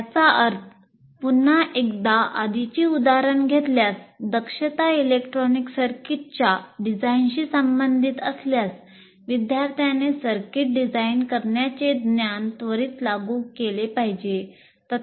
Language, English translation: Marathi, That means, once again taking the earlier example, if the goal, if the competency is related to designing an electronic circuit, the student should immediately apply that knowledge of designing a circuit, however simple it is